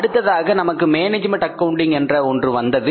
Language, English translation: Tamil, Then we had management accounting